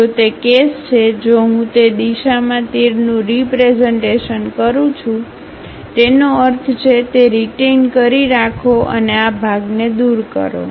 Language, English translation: Gujarati, If that is the case, if I represent arrows in that direction; that means, retain that, remove this part